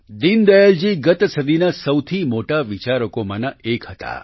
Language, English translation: Gujarati, Deen Dayal ji is one of the greatest thinkers of the last century